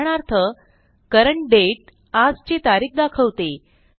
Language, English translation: Marathi, For example, CURRENT DATE returns todays date